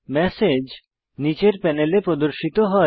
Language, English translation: Bengali, The message is displayed in the panel below